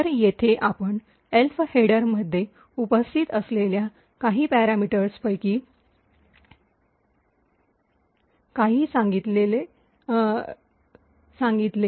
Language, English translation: Marathi, So, here we have actually said some of the few parameters present in the Elf header